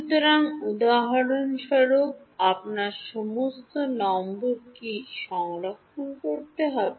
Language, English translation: Bengali, So, for example, what all numbers will you have to store